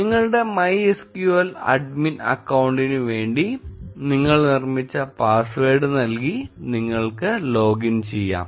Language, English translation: Malayalam, Enter the password which you created for your MySQL admin account and you are able to login